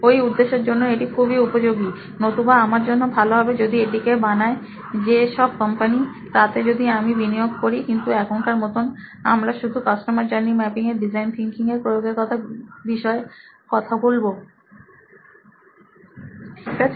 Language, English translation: Bengali, So it is pretty useful for that purpose; otherwise, yeah,good thing for me will be to invest in companies which are making this but for now we will stick to the uses of design thinking for this purpose of customer journey mapping, ok